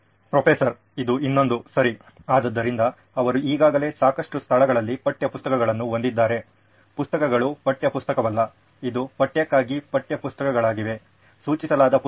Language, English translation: Kannada, This is also another one, right, so they have textbooks already in lots of places, books, not textbook, it is books which are prescribed as textbooks for the course